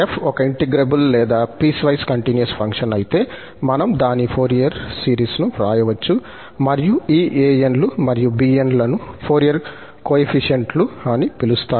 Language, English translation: Telugu, If f is an integrable or piecewise continuous function, then we can write its Fourier series and these an's and bn's are called the Fourier coefficients